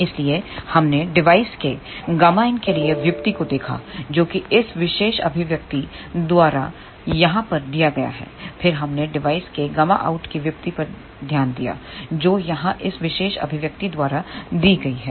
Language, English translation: Hindi, Hence we looked at the derivation for gamma in of the device, which is given by the this particular expression over here, then we looked at the derivation of gamma out of the device, which is given by this particular expression here